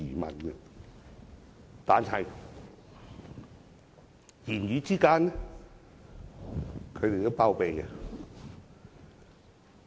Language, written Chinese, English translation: Cantonese, 不過，言語之間，他們也有包庇。, Nevertheless in the remarks they made they still harbour him